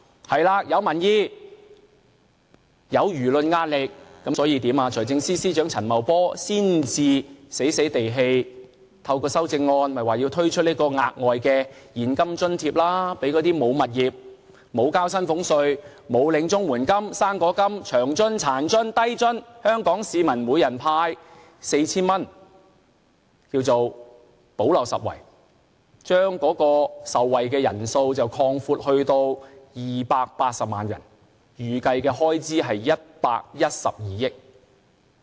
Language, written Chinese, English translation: Cantonese, 在民意和輿論壓力下，財政司司長陳茂波才不情不願地透過修正案推出額外現金津貼，向那些沒有物業、無須繳交薪俸稅、沒有領取綜援金、"生果金"、長津、殘津、低津的香港市民每人派發 4,000 元，叫作"補漏拾遺"，把受惠人數擴闊至280萬人，預計開支是112億元。, Due to strong opinions and public pressure the Financial Secretary Paul CHAN reluctantly introduces amendments to the budget to hand - out extra cash allowance of 4,000 to people who have no properties who need not pay salary tax and who are not receiving Comprehensive Social Security Assistance fruit grant the Old Age Living Allowance OALA disable allowance and low - income allowance . He calls it the gap - plugging measures . He has widened the scope of recipients to 2.8 million people and the estimated expenditure is 11.2 billion